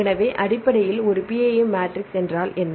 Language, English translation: Tamil, So, based on that we can derive PAM matrix